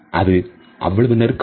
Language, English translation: Tamil, Is it too close